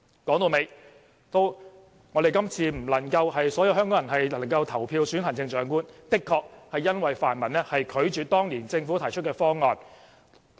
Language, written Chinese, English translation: Cantonese, 說到底，所有香港人今次不能投票選行政長官，的確是因為泛民拒絕接受政府當年提出的方案。, To get to the root of the matter it is because of the refusal of the pan - democrats to accept the Governments proposal back then that not all Hong Kong people can vote in the Chief Executive Election this time